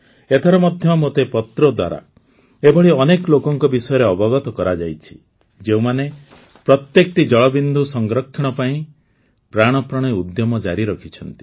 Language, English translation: Odia, This time too I have come to know through letters about many people who are trying their very best to save every drop of water